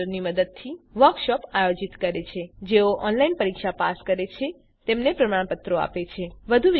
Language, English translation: Gujarati, Conducts workshops using spoken tutorials and gives certificates for those who pass an online test